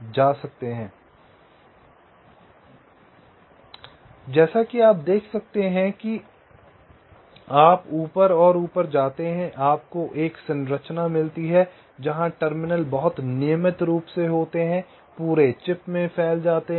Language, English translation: Hindi, so, as you can see, as you go up and up, you get a structure where the terminals are very regularly spread all across the chip